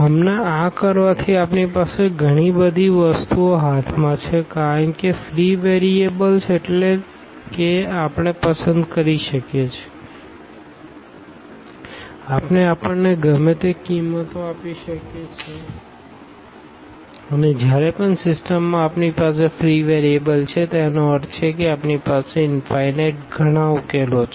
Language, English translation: Gujarati, By doing this now, we have so many things in hand because free variables means we can choose, we can give the values whatever we like and whenever we have free variables in the system ah; that means, we have infinitely many solutions